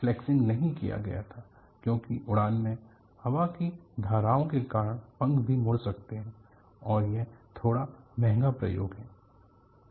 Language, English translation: Hindi, This flexing was not done because in flight, the wings alsocan flex because of the air currents, and it is a very quiet expensive experiment